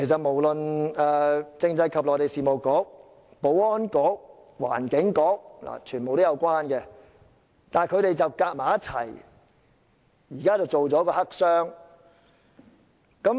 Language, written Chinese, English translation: Cantonese, 無論政制及內地事務局、保安局和環境局，全都與此有關，但他們卻聯手製作一個黑箱。, The Constitutional and Mainland Affairs Bureau the Security Bureau and the Environment Bureau are all involved but they have joined hands to make a black box